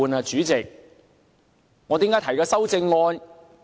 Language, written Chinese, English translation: Cantonese, 主席，我為何要提出修正案？, Chairman why should I propose the amendment?